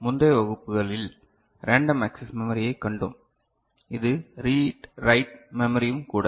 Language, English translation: Tamil, In earlier classes, we had seen random access memory which is also read write memory